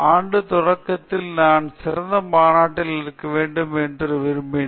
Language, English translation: Tamil, So, this beginning of this year I went to a conference in my area that is supposed to be the best conference